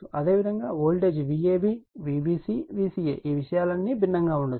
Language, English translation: Telugu, Similarly, supply voltage your V ab V c c a right all these things may be different